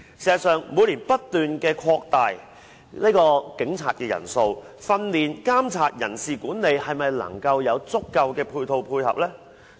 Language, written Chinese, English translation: Cantonese, 事實上，每年不斷擴大警察的人數，但在訓練、監察、人事管理上是否能夠有足夠的配套配合呢？, In fact while there is year - over - year growth in the number of police officers is there sufficient support in terms of training monitoring and manpower management?